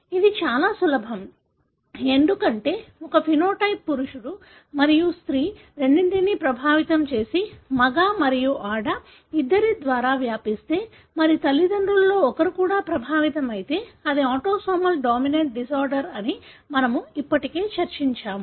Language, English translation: Telugu, That’s very easy, because we have discussed already that if a phenotype affect both male and female and transmitted by both male and female and if one of the parents was also affected, it is likely that it is a autosomal dominant disorder